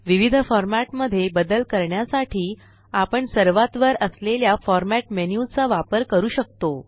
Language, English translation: Marathi, We can use the Format menu at the top for making various format changes